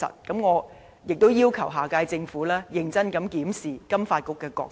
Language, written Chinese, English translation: Cantonese, 因此，我要求下屆政府認真檢視金發局的角色。, Therefore I urge the next Government to seriously review the role of FSDC